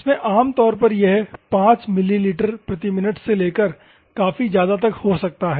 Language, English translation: Hindi, In this one, normally it ranges from 5 ml per minute to so on